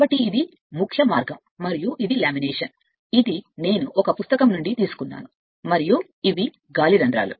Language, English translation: Telugu, So, this is the key way and this is lamination, this is I have taken from a book, and this is the air holes right